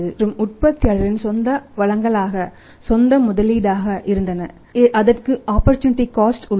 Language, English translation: Tamil, And if it is their own resources it is coming from their own resources that it also has the opportunity cost